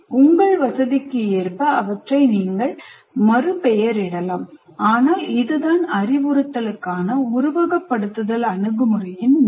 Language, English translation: Tamil, You can slightly reward them to suit your convenience, but this is what the aim of the simulation approach to instruction